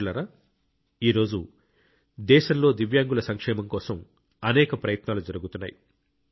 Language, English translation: Telugu, today many efforts are being made for the welfare of Divyangjan in the country